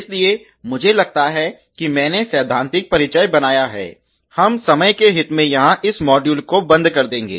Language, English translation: Hindi, So, I think I have made in theoretical introduction, we will closed this module here in the interest of time